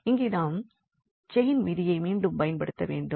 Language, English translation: Tamil, Here we have to apply the chain rule again